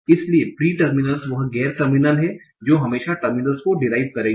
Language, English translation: Hindi, So, pre terminals are those non terminers that will always derive terminals